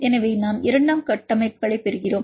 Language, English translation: Tamil, So, we look at the secondary structures